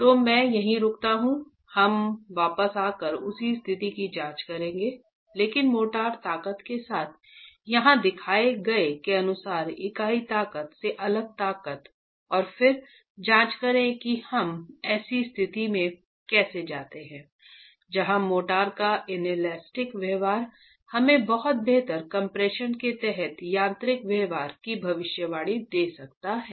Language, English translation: Hindi, We will come back and examine the same situation but with motor strengths different from the unit strengths as shown here and then examine how we go into a situation where inelastic behavior of the motor can give us a much better prediction of the mechanical behavior under compression